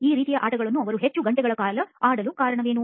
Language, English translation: Kannada, What makes them play these kind of games for long hours